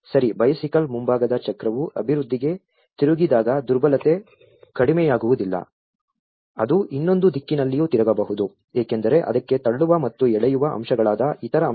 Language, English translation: Kannada, Well bicycle, when the front wheel rotates to the development not necessarily the vulnerability is reduced, it may turn in the other direction too, because there are other factors which are the push and pull factors to it